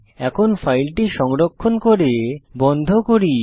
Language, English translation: Bengali, Now let us save this file and close it